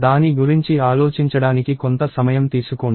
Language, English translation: Telugu, Take a while to think about it